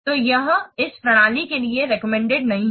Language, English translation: Hindi, So this is not recommended for this system